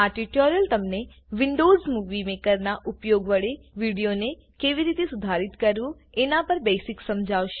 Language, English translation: Gujarati, This tutorial will explain the basics of how to edit a video using Windows Movie Maker